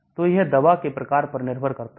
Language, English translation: Hindi, So it depends on the type of drug